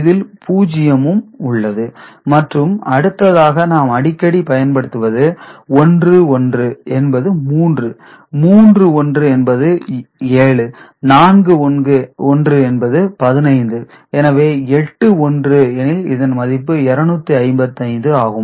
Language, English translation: Tamil, And this is another thing we often come across 11 is 3, three 1s are 7, four 1s are 15, so if 8 1s are there, this is 255